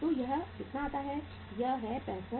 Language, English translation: Hindi, So this will be how much 68